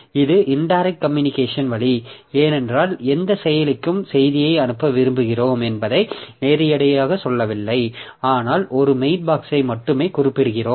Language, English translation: Tamil, So, this is indirect way of communication because we are not telling directly to which process we are wishing to send that message but we are mentioning a mail box only